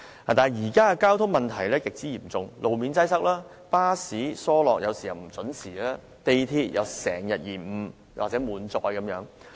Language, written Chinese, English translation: Cantonese, 但是，現時的交通問題極為嚴重，路面擠塞，巴士班次疏落及不準時，港鐵亦經常延誤和滿載。, However problems in transportation are serious today . Roads are crowded bus service frequencies are low and not adhered to and MTR compartments are overcrowded and service disruptions are common